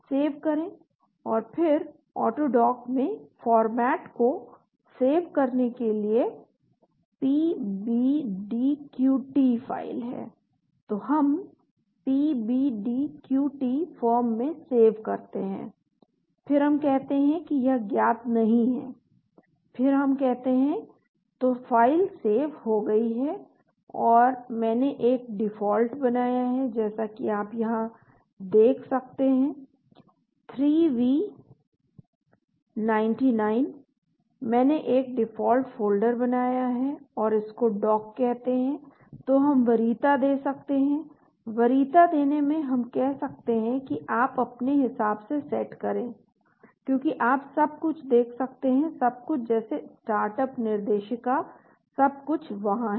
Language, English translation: Hindi, Save and then save the format in AutoDock is PBDQT file so we save in the PBDQT form, then we say it is not known then we say , so the file is saved and so I have created a default as you can see here 3v99, I have created a default folder and that is called a dock so we can preference, in Preferences we can say set as you can see everything startup directories everything is there